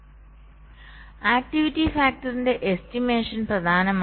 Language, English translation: Malayalam, so the estimation of the activity factor